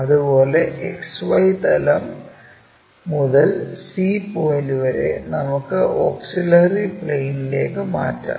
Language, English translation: Malayalam, Similarly, the point c from the plane XY, we will transfer it from that auxiliary plane all the way to up